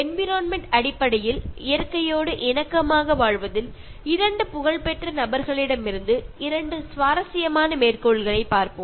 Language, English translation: Tamil, Let us look at two interesting quotes from two eminent people in terms of environment and living harmoniously with nature